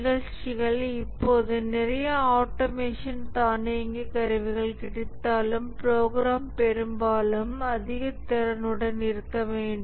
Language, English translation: Tamil, Programs, even though now a lot of automation, automated tools are available still programming is largely effort intensive